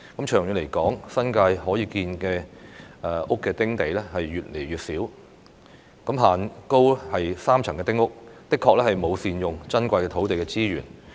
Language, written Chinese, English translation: Cantonese, 長遠來說，新界可建屋的"丁地"越來越少，限高3層的丁屋的確沒有善用珍貴的土地資源。, In the long run there will be fewer and fewer sites available for building small houses in the New Territories . It is true that the three - storey height limit imposed on small houses has failed to optimize the use of our precious land resources